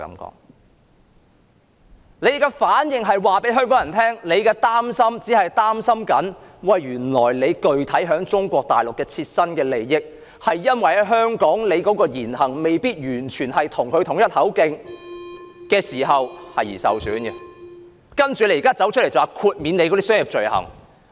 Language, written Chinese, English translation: Cantonese, 他們的反應讓香港人知道，原來他們只是擔心切身利益會因在香港的言行未必完全與中央一致而受到損害，所以才走出來要求豁免商業罪類。, Their reaction has shown Hong Kong people that they are concerned simply because their personal interests might be undermined if their words and deeds in Hong Kong do not fully tally with that of the Central Authorities they are thus forced to come forward to demand the exemption of certain commercial crimes